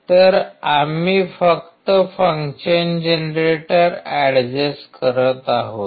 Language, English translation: Marathi, So, we are just adjusting the function generator